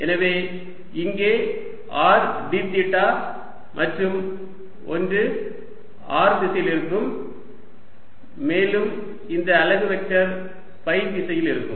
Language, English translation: Tamil, alright, so here will be r d theta and one in r direction, and this unit vector is in the phi direction